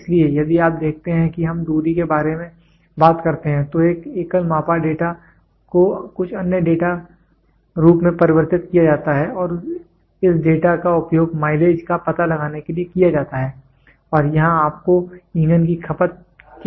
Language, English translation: Hindi, So, here if you see we talk about distance so, a single measured data is converted into some other data form and this data is used to find out the mileage and here you also need an input of fuel consumption